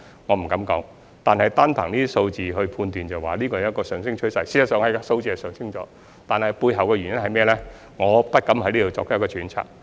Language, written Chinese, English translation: Cantonese, 我不敢說，但單憑這些數字判斷，是出現了上升趨勢，數字的確是上升了，但背後的原因是甚麼呢？, However based on these figures there is indeed a rising trend . The figures did increase . But what could be the reasons behind?